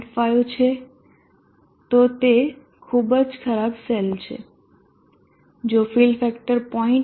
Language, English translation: Gujarati, 5 it is very bad cell if the fill factor is